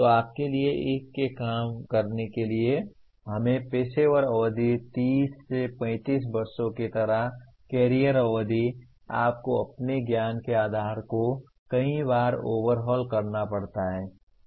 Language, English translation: Hindi, So for you to work in one’s own let us say professional period, career period like 30 35 years, you may have to overhaul your knowledge base many times